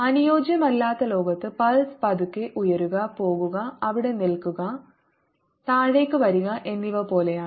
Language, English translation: Malayalam, in non ideal world the pulse would be more like slowly rising, going, staying there and coming down